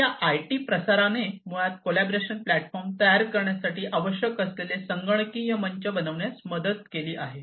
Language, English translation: Marathi, So, this IT proliferation has basically helped in building the computational platform that will be required for coming up with the collaboration platform